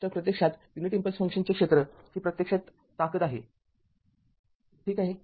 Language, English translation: Marathi, So, actually area of the your what you call unit impulse function that is actually strength ok